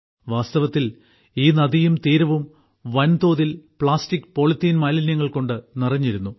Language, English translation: Malayalam, Actually, this river and its banks were full of plastic and polythene waste